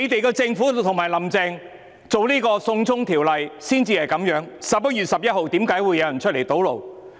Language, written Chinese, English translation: Cantonese, 是政府及"林鄭"推出"送中條例 "，11 月11日為何有人出來堵路？, The culprit is the Government and Carrie LAM who introduced the extradition bill . Why were some people blocking roads on 11 November?